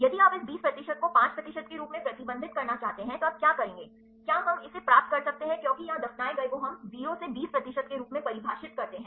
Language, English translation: Hindi, If you want to restrict this 20 percent as 5 percent what will you do, can we get it get the data because here the buried we define as to 0 to 20 percent